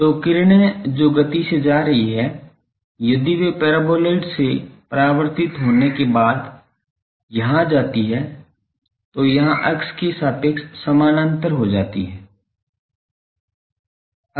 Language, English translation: Hindi, So, rays that are going from the speed if they go here after getting reflected from the paraboloid, that becomes parallel to the axis similarly here